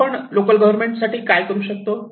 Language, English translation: Marathi, So, what do we do for the local government